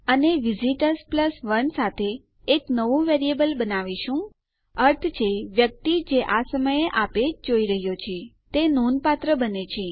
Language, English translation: Gujarati, And were creating a new variable with the visitors + 1 namely the person that is viewing this page at the moment